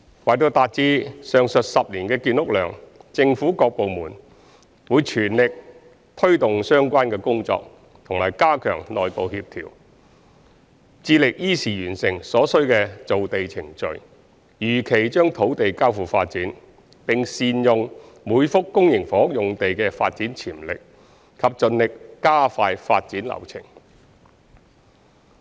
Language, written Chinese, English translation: Cantonese, 為達至上述10年的建屋量，政府各部門會全力推動相關工作和加強內部協調，致力依時完成所需的造地程序，如期將土地交付發展，並善用每幅公營房屋用地的發展潛力，以及盡力加快發展流程。, To achieve the above 10 - year public housing production various government departments are striving to take forward relevant work and to improve internal coordination with a view to completing the necessary land forming process and handing over the sites for development in time . We also endeavour to optimize the development potential of each and every public housing site and to expedite the development process